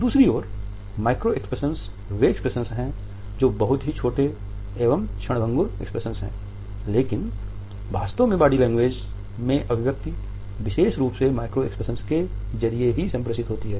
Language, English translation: Hindi, On the other hand, micro expressions are those expressions which are very tiny almost fleeting expressions, but it is the truth which is communicated through micro expressions in particular